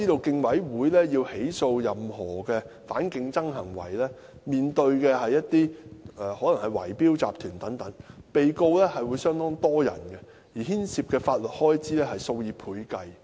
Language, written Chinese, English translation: Cantonese, 競委會要起訴任何反競爭行為，可能面對圍標集團等，被告的人數相當多，而牽涉的法律開支數以倍計。, The Commission may face bid - rigging syndicates when pressing charges against any anti - competitive conduct in which case there may be a large number of defendants and the legal expenses incurred will be several times higher